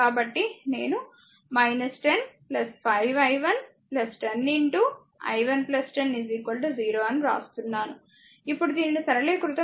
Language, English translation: Telugu, So, that is I am writing minus 10 plus 5 i 1 plus 10 into i 1 plus 10, now you simplify is equal to 0 , now you simplify